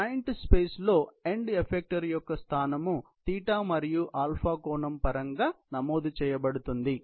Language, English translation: Telugu, So, the position of the end effector in the joint space is recorded in terms of a θ and α angle